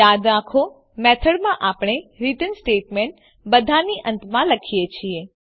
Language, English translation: Gujarati, Remember that we write the return statement at the end of all statements in the method